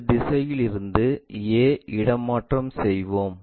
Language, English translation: Tamil, Let us transfer a from this direction